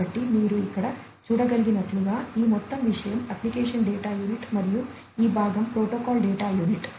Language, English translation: Telugu, So, as you can see over here this entire thing is the application data unit and this part is the protocol data unit